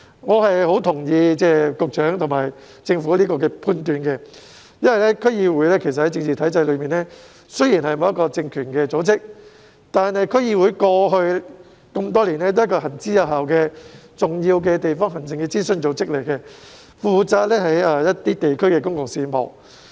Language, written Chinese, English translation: Cantonese, 我同意局長和政府這一判斷，因為區議會在政治體制內雖然並非有政治實權的組織，但區議會過去多年來皆是行之有效的重要地方行政諮詢組織，負責地區公共事務。, I agree with this judgment of the Secretary and the Government . The reason is that while DCs are not entities with real political power in the political system they have nonetheless served as effective and important advisory bodies on district administration over all these years and are vested with the responsibility of handling public affairs at the district level